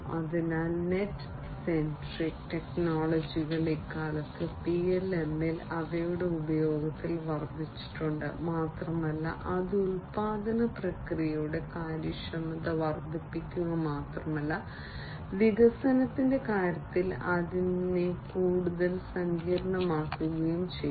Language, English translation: Malayalam, So, net centric technologies have increased in their use in PLM nowadays, and that has also not only improved not only increased the efficiency of the production process, but has also made it much more complex, in terms of development